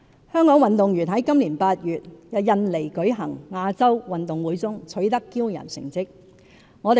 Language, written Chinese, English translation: Cantonese, 香港運動員於今年8月在印尼舉行的亞洲運動會中取得驕人成績。, In the Asian Games held in Indonesia last August Hong Kong athletes impressed the world with their outstanding achievements